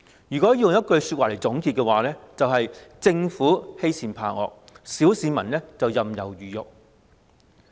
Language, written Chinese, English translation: Cantonese, 如果要用一句話來總結，便是政府欺善怕惡，小市民任人魚肉。, In a nutshell the Government has been bullying the weak and fearing the strong while the ordinary people are helplessly subjected to exploitation